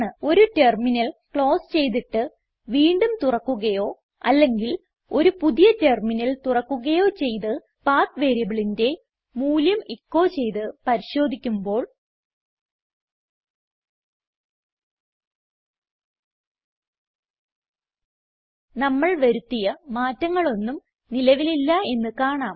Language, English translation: Malayalam, If we close the terminal and open it again or open a new terminal altogether and check the path variable by echoing its value We will be surprised to see that our modifications are no longer present